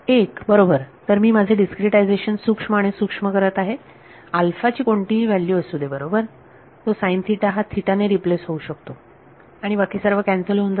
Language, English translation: Marathi, 1 right asymptotically as I make my discretization finer and finer whatever be alpha right, that sin theta can get replaced by theta and everything will get cancelled off